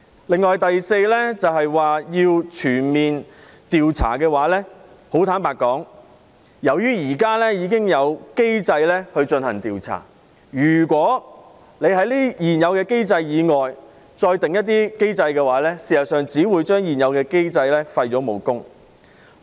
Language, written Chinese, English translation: Cantonese, 此外，第四項訴求是要求全面調查事件，坦白說，由於現時已有機制進行調查，如果再設立另一些機制，事實上只會將現有機制的武功廢除。, Furthermore the fourth demand is to conduct a comprehensive investigation of the incident . Frankly speaking since there is an existing investigation mechanism if another one is set up it will render the existing mechanism redundant . The fifth demand is the stepping down of the Chief Executive